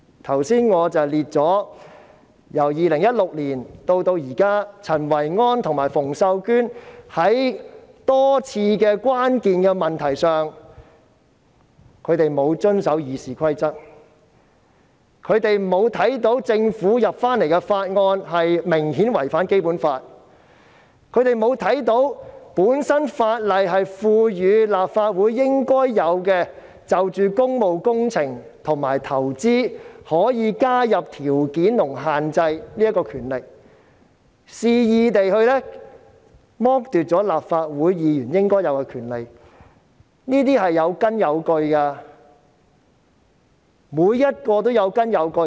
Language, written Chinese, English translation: Cantonese, 我剛才列出由2016年至今，陳維安和馮秀娟多次在關鍵問題上沒有遵守《議事規則》，沒有看到政府向立法會提交的法案明顯違反《基本法》，沒有看到法例賦予立法會可就工務工程和投資加入條件和限制的應有權力，肆意剝奪立法會議員應有的權利，每一項指控均有根有據。, As cited by me earlier since 2016 there were quite a number of occasions on which Kenneth CHEN and Connie FUNG did not comply with the Rules of Procedure in handling critical issues . They did not notice that the bills submitted to the Legislative Council by the Government were obviously in breach of the Basic Law . They did not note that the Legislative Council is empowered by the law to impose conditions and restrictions on public works and investments thus arbitrarily depriving Legislative Council Members of their due rights